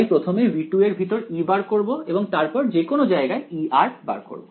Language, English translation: Bengali, So, first find E inside v 2 and then find E r anywhere